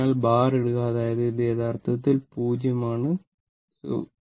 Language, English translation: Malayalam, So, put bar; that means, it is actually 0, it is actually forget about 0